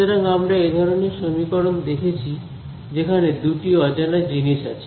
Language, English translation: Bengali, So, we have encountered such equations where there are two unknowns